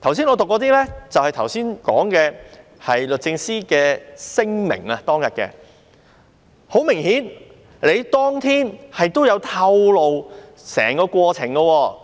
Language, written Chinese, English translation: Cantonese, 我剛才唸出來的，便是當時律政司的聲明，時任律政司司長也有透露整個過程。, What I just read out is based on the statement made by DoJ . The Secretary for Justice at that time also made public the whole process